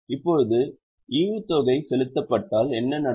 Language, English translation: Tamil, Now if it is dividend paid what will happen